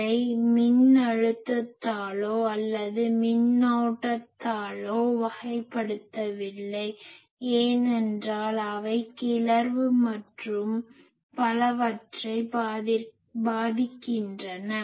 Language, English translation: Tamil, We do not characterized it by voltage or do not characterize it by current because those are our excitation and affects etc